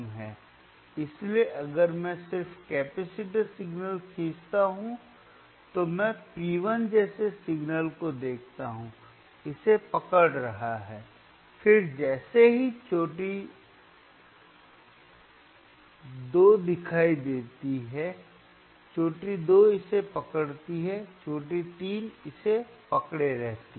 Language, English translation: Hindi, tThat is why, if I just draw the capacitor signal, then what I look at it I look at the signal like P 1 then it, it is holding it, then as soon as peak 2 appears peak 2 holding it, peak 3 holding it